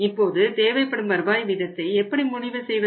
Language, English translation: Tamil, Now how do you decide by the required rate of return